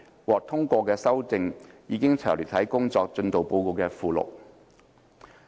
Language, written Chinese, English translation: Cantonese, 獲通過的修訂已詳列於工作進度報告的附錄。, Amendments endorsed by the Council were listed in the Appendix of the progress report